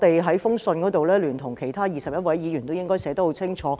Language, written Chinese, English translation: Cantonese, 在信函中，我聯同21位議員把立場寫得很清楚。, Together with 21 Members I made our stance very clear in the letter